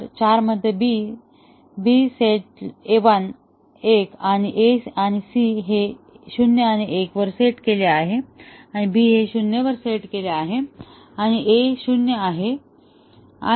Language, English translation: Marathi, Four along with seven; so in four, B set 1 and A and C are set at 0 1 and B is set at 0 and this is 0 1